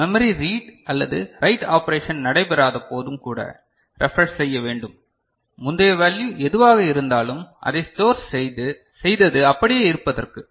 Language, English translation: Tamil, Even when memory read or write operation is not taking place so that previous value whatever it is remain stored